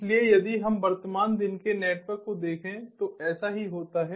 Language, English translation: Hindi, so if we look at the current day networks, this is what happens